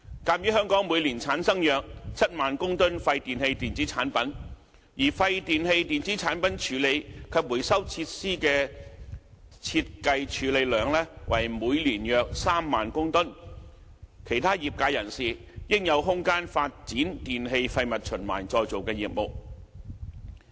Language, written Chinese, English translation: Cantonese, 鑒於香港每年產生約7萬公噸廢電器電子產品，而廢電器電子產品處理及回收設施的設計處理量為每年約3萬公噸，其他業界人士應有空間發展電器廢物循環再造的業務。, Given that some 70 000 tonnes of WEEE are generated in Hong Kong per annum whereas the design capacity of WEEETRF is about 30 000 tonnes per annum there should be room for other recyclers to develop their business of recycling e - waste